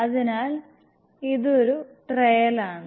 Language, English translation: Malayalam, So this is a trial one